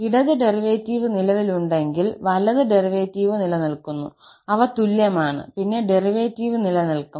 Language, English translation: Malayalam, If the left hand derivative exists, right hand derivative exists and they are equal then the derivative exists